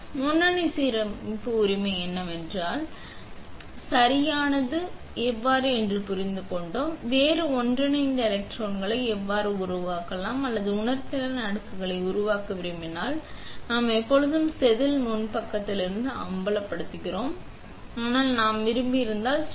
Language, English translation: Tamil, Until now, we were always understanding what is the front alignment right and how the front alignment will help, how can we create different interdigitated electrodes, if you want to create a sensing layer on it or something else, we are always exposing from the front side of the wafer, but if I want to create a diaphragm